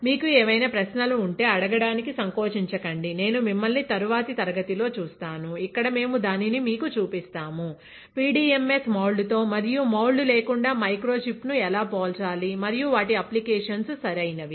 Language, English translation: Telugu, If have any questions feel free to ask; I will see you in the next class, where we will be actually showing it to you, how to compare microfluidic chip with and without PDMS moulding and what are their applications right